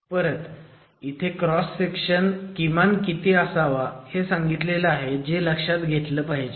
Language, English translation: Marathi, Again there are minimum cross sectional dimensions which must be respected